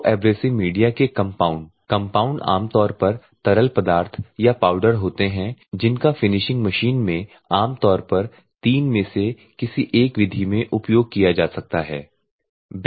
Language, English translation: Hindi, So, abrasive media compound; the compound are normally liquids or powders that are used may be used in the finishing machine generally one or three ways